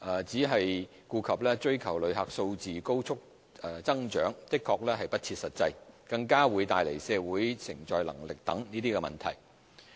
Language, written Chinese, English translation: Cantonese, 只顧追求旅客數字高速增長的確是不切實際，更會帶來社會承載能力等問題。, A blind pursuit of rapid growth in the number of visitors is not only unrealistic but will also bring about various problems such as the receiving capacity of the community